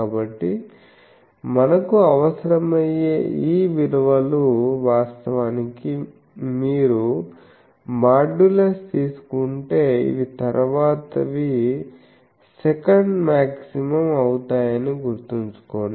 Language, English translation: Telugu, So, these values we will require actually remember that if you take the modulus then these becomes the next one, the second maximum that is why this value we will require etc